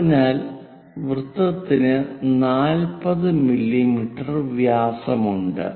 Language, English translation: Malayalam, So, the circle is 40 mm diameter